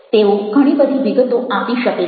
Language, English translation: Gujarati, they have lots of information